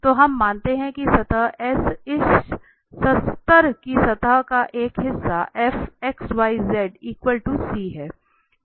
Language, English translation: Hindi, So the evaluation we assume that the S, the surface S is a part of this level surface fx yz equal to C